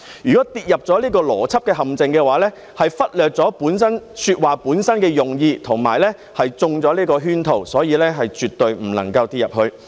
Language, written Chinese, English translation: Cantonese, 如果跌入這個邏輯陷阱，便是忽略了說話本身的用意和中了圈套，所以是絕對不能跌進這陷阱。, If one falls into this trap of logic one has overlooked the original intention of the argument and fallen for the trick . Hence we must not fall into this trap